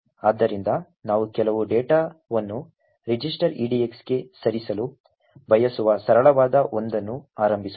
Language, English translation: Kannada, So, let us start with the simple one where we want to move some data into the register edx